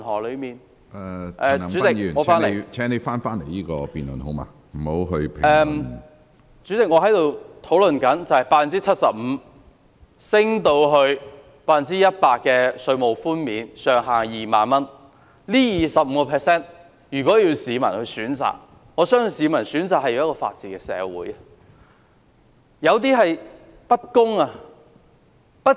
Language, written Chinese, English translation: Cantonese, 主席，我正在討論稅務寬免的百分比由 75% 提高至 100%， 這25個百分點的調升，如果要市民選擇的話，我相信他們寧願要一個法治社會。, Chairman I am discussing the increase in the percentage rate of tax reduction from 75 % to 100 % . If given a choice I believe people would rather have a society with the rule of law than this increase of 25 percentage points